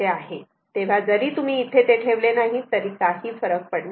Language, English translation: Marathi, So, so if you do not put here, does not matter